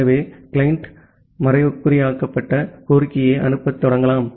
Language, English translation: Tamil, So, the client can start sending encrypted request